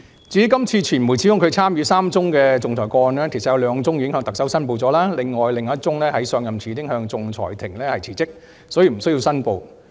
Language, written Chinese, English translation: Cantonese, 至於今次傳媒指控司長參與3宗仲裁個案，其實有兩宗司長已經向特首申報，另一宗在上任前已向仲裁庭辭職，所以不需要申報。, As for the three arbitration cases which the media alleged that the Secretary for Justice was involved in actually two cases had been declared and approved by the Chief Executive; as for the third case since the Secretary for Justice had already resigned from the arbitral tribunal before taking office no declaration was required